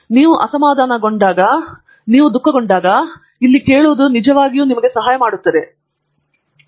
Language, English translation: Kannada, Simple discussion like they say, when you are upset, when you are sad, simply pouring out your grief, listening here will really help you